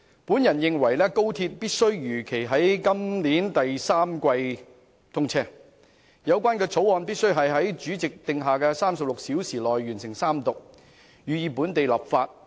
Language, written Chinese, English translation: Cantonese, 我認為高鐵必須如期在今年第三季通車，而《廣深港高鐵條例草案》必須在主席定下的36小時內完成三讀，予以本地立法。, I consider it necessary to achieve timely commissioning of XRL in the third quarter this year and complete the Third Reading of the Guangzhou - Shenzhen - Hong Kong Express Rail Link Co - location Bill the Bill within the 36 hours prescribed by the President for the local legislative process